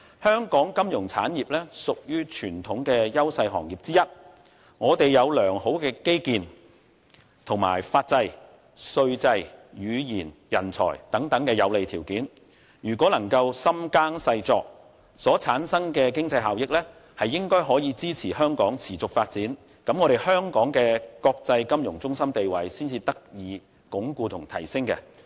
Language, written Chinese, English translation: Cantonese, 香港金融產業屬於傳統的優勢行業之一，我們有良好的基建、法制、稅制、語言和人才等有利條件，如果能夠深耕細作，所產生的經濟效益，應該可以支持香港持續發展，這樣香港的國際金融中心地位才能得以鞏固和提升。, Our sound infrastructure facilities legal system tax regime bilingual proficiency and talents are all our advantages . If we can do some deep ploughing and careful cultivation the economic benefits so generated should be able to support the sustainable development of Hong Kong . It is only by so doing that Hong Kongs status as an international financial centre can be enhanced and elevated